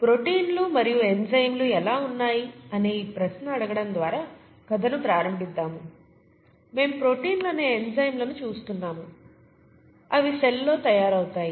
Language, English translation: Telugu, We will begin the story by asking this question, how are proteins and of course enzymes, we are looking at enzymes that are proteins, made in the cell, okay